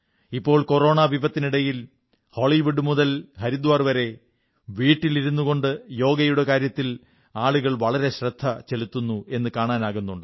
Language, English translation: Malayalam, During the present Corona pandemic it is being observed from Hollywood to Haridwar that, while staying at home, people are paying serious attention to 'Yoga'